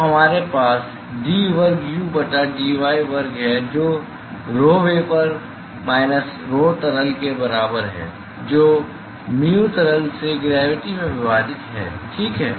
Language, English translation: Hindi, So, we have d square u by dy square that is equal to rho vapor minus rho liquid divided by mu liquid into gravity ok